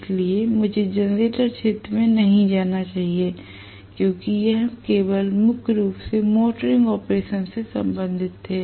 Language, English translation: Hindi, So, let me not get into generator region because we were only primarily concerned with the motoring operation